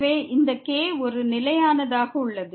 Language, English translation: Tamil, So, this is a constant